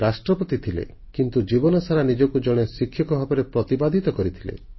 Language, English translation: Odia, He was the President, but all through his life, he saw himself as a teacher